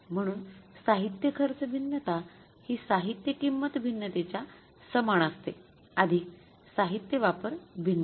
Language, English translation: Marathi, Material cost variance is equal to material price variance plus material usage variance